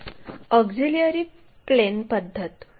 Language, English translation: Marathi, So, auxiliary plane method